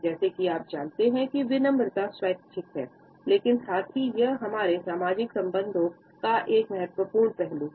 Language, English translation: Hindi, Politeness as you know is voluntary and also deliberate, but at the same time it is a crucial aspect of our social interactions